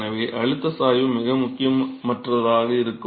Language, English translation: Tamil, So, the pressure gradient is going to be very very insignificant